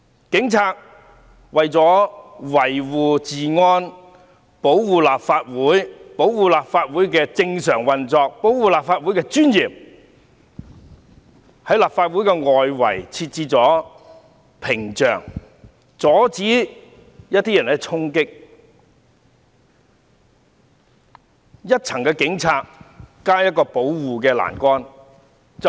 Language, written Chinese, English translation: Cantonese, 警察為了維護治安，保障立法會能夠正常運作和維護立法會的尊嚴，在立法會外圍設置屏障，阻止有人衝擊，而當時只有一些警察和一個保護欄桿。, To maintain law and order to ensure the normal operation of the Legislative Council and to protect the dignity of the Legislative Council the Police had put barriers outside the Legislative Council Complex to prevent people from charging . At the time there were only some police officers and a line of barriers